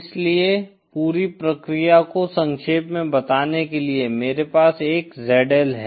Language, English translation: Hindi, So just to summarize the whole process, I have a ZL